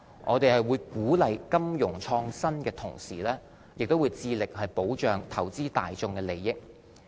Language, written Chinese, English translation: Cantonese, 在鼓勵金融創新的同時，我們亦會致力保障投資大眾的利益。, While promoting financial innovation we will also strive to protect the interest of the investing public